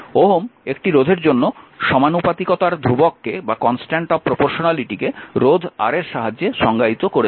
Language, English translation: Bengali, Ohm defined the constant of proportionality for a resistor to be resistance R